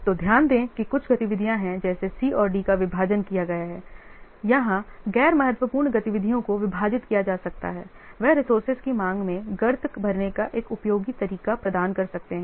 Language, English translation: Hindi, So, notice that some activities such as C and D have been split where non critical activities can be split, they can provide a useful way of filling traps in the demand of the resource